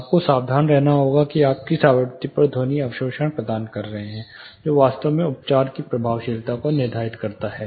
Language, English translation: Hindi, You have to be careful on which frequency you are providing sound absorption that actually determines the effectiveness of the treatment itself